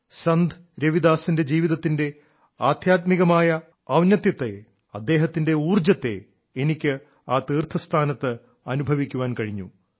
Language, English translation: Malayalam, I have experienced the spiritual loftiness of Sant Ravidas ji's life and his energy at the pilgrimage site